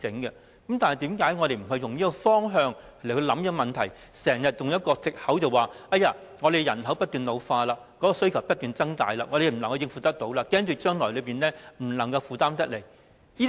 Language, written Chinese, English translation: Cantonese, 為何我們不以這方向考慮這問題，而經常以藉口推搪，說人口不斷老化、需求不斷增大，我們不能應付和恐怕將來負擔不來等。, Why do we not consider this issue in this direction? . Why should we always use an excuse to put it off saying that we could neither cope with it nor afford it as the population keeps on ageing and the demand is ever expanding?